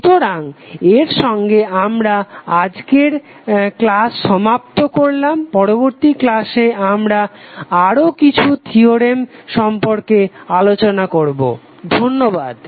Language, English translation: Bengali, So with this week close our today’s session next session we will talk about few other theorems thank you